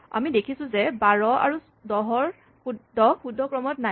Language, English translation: Assamese, We notice that 12 and 10 are not correctly ordered